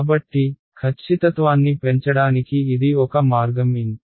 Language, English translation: Telugu, So, that is one way of increasing the accuracy increase N